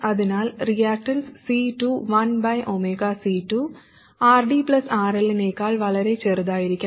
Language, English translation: Malayalam, So the reactants of C2, 1 over omega C2, must be much smaller than RD plus RL